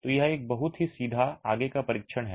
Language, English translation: Hindi, So it's a very straightforward test